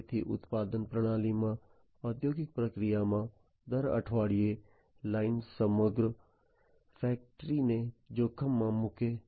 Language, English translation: Gujarati, So, every week line in the production system, in the industrial process puts the whole factory at risk